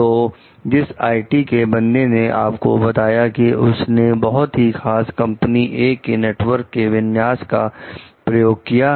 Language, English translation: Hindi, So, the IT person, like he told like, he has used a very specific configuration of companies A s network